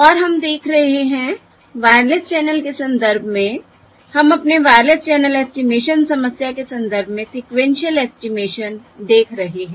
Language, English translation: Hindi, we are looking at sequential estimation in the context of our wireless channel estimation problem